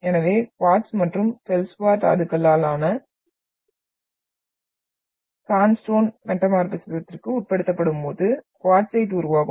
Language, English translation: Tamil, So sandstone composed of quartz and feldspar mineral when undergo metamorphism will result into the formation of quartzite